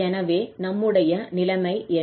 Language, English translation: Tamil, So, what is the situation we have